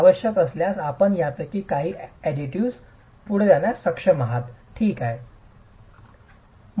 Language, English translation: Marathi, You should be able to proceed with some of these additives if necessary